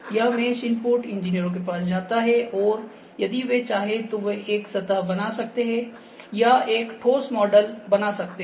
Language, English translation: Hindi, So, this mesh input goes to the engineers, they can create a surface if they like out of that